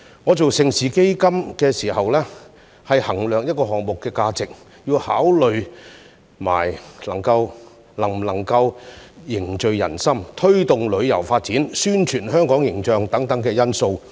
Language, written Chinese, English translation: Cantonese, 我參與盛事基金時，每當衡量項目的價值，亦須同時考慮能否凝聚人心、推動旅遊發展和宣傳香港形象等因素。, When I worked for the Mega Events Fund I had to consider factors such as the conduciveness to social harmony the promotion of tourism and the publicity of Hong Kongs image in weighing up the value of different projects